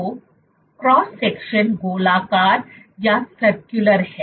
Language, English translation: Hindi, So, the cross section is circular